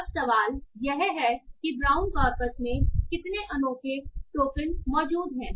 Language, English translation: Hindi, So, these are the unique number of tokens that are present in the brown corpus